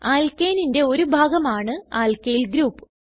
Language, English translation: Malayalam, Alkyl group is a fragment of Alkane